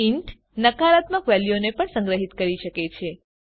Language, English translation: Gujarati, int can also store negative values